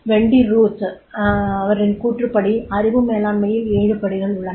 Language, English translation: Tamil, According to the Wendy Ruth, there are seven steps in the knowledge management